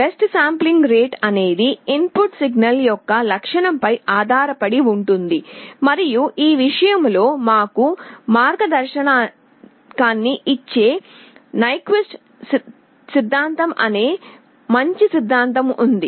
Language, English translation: Telugu, Well sampling rate depends on the characteristic of the input signal and there is a nice theorem called Nyquist theorem that gives us a guideline in this regard